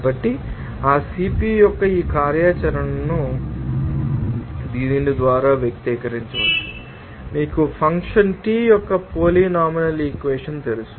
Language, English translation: Telugu, So, this functionality of that CP can be expressed by this you know polynomial equation of function T